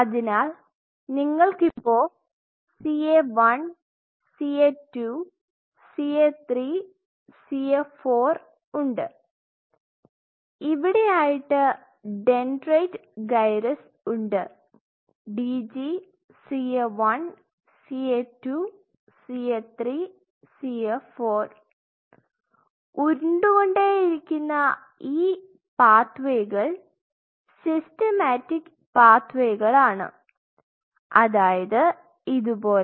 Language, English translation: Malayalam, So, you have CA one CA two CA three CA four you have the dentate gyrus sitting here dg CA 1, CA 2, CA 3, CA 4 all these pathways which are rolling this is a very systemic pathway something like this